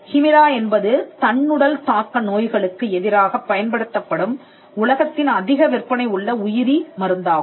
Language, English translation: Tamil, Humira is a biologic and it is the world’s largest selling drug which is used for autoimmune diseases